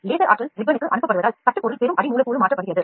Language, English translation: Tamil, As the laser energy is directed to the ribbon the build material transfers to the receiving substrate